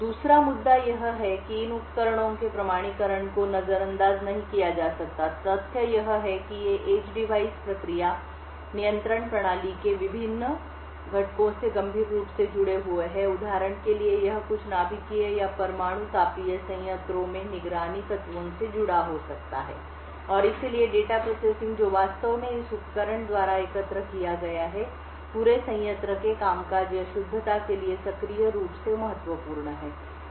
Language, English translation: Hindi, The 2nd issue is that authentication of these devices cannot be ignored, the fact is that these edge devices are quite critically connected to various components of process control system it could for example be connected to some of the actuators or monitoring elements in nuclear thermal plants, and therefore the data processing which is actually collected by this device is actively important for the functioning or the correctness of the entire plant